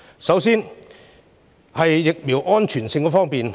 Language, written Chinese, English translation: Cantonese, 首先是疫苗安全性方面。, My first point concerns the safety of vaccines